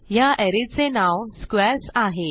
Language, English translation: Marathi, The name of the array is squares